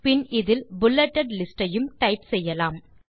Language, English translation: Tamil, Then you can type, it also contain bulleted list